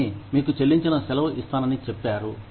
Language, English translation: Telugu, Company says, I will give you a paid vacation